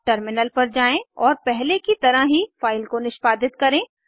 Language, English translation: Hindi, Now let us switch to the terminal and execute the file like before